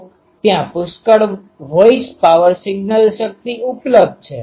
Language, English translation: Gujarati, So, there are plenty of voice power ah signal power available